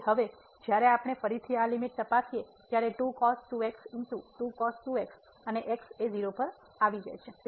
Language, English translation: Gujarati, So now, here when we check this limit again so, times the and goes to